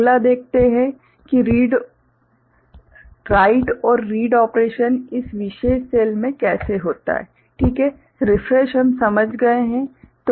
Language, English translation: Hindi, Next, let us see how the write and read operation takes place in this particular cell, right; refresh we have understood